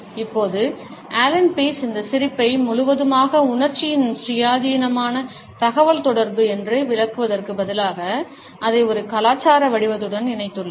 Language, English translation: Tamil, Now, Allan Pease instead of illustrating this grin completely as an independent communication of emotion has linked it with a cultural pattern